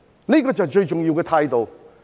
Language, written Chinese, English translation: Cantonese, 這就是最重要的態度。, This is the most important attitude